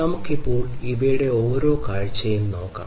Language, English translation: Malayalam, So, let us now look at the view of each of these